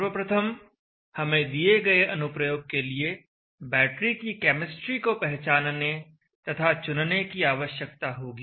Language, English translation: Hindi, 1st we need to identify and select battery chemistry for the given application